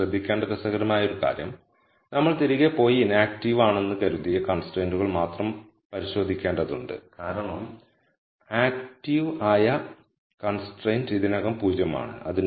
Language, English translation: Malayalam, An interesting thing to note here is we have to go back and check only the constraints that we have as sumed to be inactive because the active constraint is already at 0